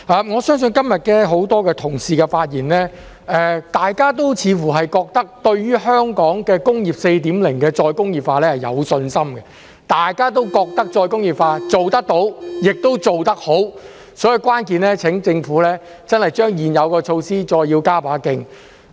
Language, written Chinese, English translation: Cantonese, 我相信今天很多同事的發言，大家都似乎認為，對於香港的"工業 4.0" 的再工業化是有信心的，大家都認為再工業化是做得到，也做得好的，所以，關鍵是請政府真的把現有措施再加把勁。, I believe reflecting in the speeches made by many colleagues today we all seem to have confidence in the re - industrialization of Hong Kong under Industry 4.0 . We all agree that we can achieve re - industrialization and do it well . Therefore the key is to ask the Government to step up the existing measures